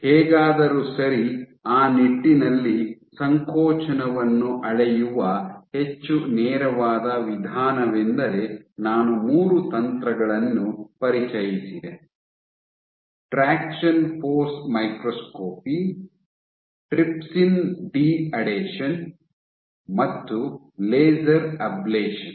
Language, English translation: Kannada, However, a more direct approach of measuring contractility in that regard I introduced three techniques: traction force microscopy, trypsin de adhesion and laser ablation